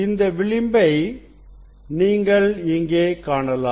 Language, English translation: Tamil, this edge you can see here; this edge you can see here